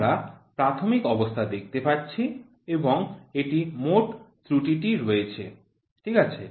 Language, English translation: Bengali, We can see initial and this is at a total error, ok